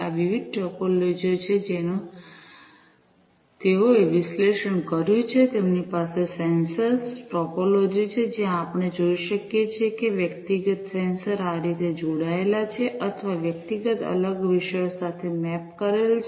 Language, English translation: Gujarati, These are the different topologies that they have analyzed, they have the sensor topology, where we can see that individual sensors are connected or, mapped with individual separate topics, in this manner